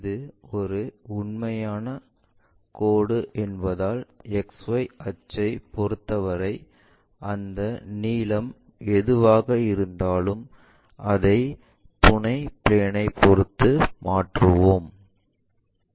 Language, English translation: Tamil, Because it is a true line, the point a with respect to X axis XY axis whatever that length we have that length we will transfer it to this auxiliary plane view